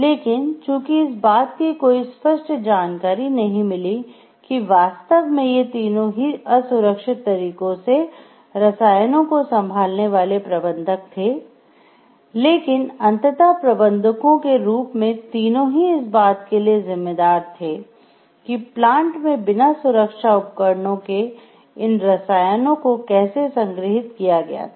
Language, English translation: Hindi, There was no indication that these 3 were the ones who actually handled the chemicals in an unsafe manner, but as managers of the plant the 3 were ultimately responsible for how the chemicals were stored and for the maintenance of the safety equipment